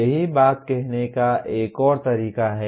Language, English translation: Hindi, That is another way of saying the same thing